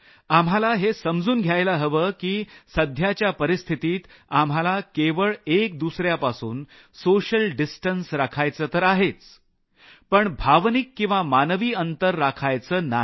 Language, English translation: Marathi, We need to understand that in the current circumstances, we need to ensure social distance, not human or emotional distance